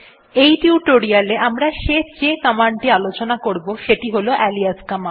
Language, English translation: Bengali, The last but quite important command we will see is the alias command